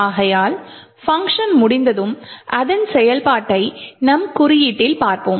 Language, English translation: Tamil, Therefore, after the function gets completes its execution which we will see as in the code